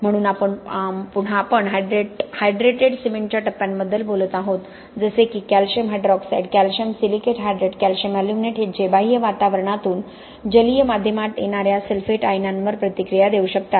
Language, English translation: Marathi, So again we are talking about hydrated cement phases such as calcium hydroxide, calcium silicate hydrate, calcium aluminates that can react with the sulphate ions coming from the external environment in an aqueous medium